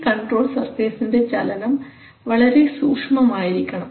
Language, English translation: Malayalam, And these control surface motion must be very, very precise